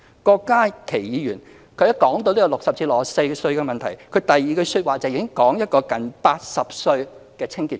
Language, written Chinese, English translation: Cantonese, 郭家麒議員說到60歲至64歲的問題時，第二句說話已在談一個年近80歲的清潔工。, As for Dr KWOK Ka - ki when he talked about the issue concerning people aged between 60 and 64 he mentioned a cleaning worker aged about 80 in the next sentence